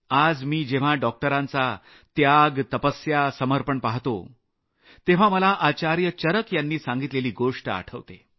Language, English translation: Marathi, Today when I witness the sacrifice, perseverance and dedication on part of doctors, I am reminded of the touching words of Acharya Charak while referring to doctors